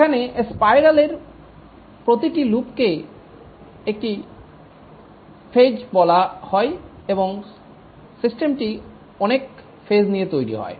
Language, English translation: Bengali, Here each loop of the spiral is called as a phase and the system gets developed over many phases